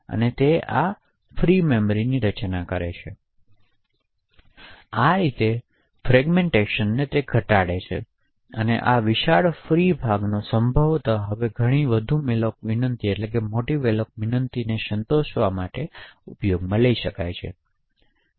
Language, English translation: Gujarati, So in this way the fragmentation can be reduced the sum of this large free chunk can now be used to service possibly many more malloc requests